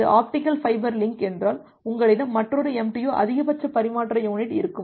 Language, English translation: Tamil, If this is an optical fiber link, you will have another MTU Maximum Transmission Unit